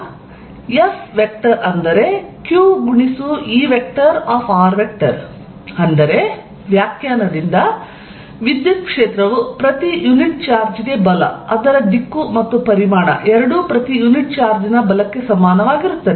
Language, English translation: Kannada, That means, by definition electric field is nothing but force per unit charge direction and magnitude both are equivalent to force per unit charge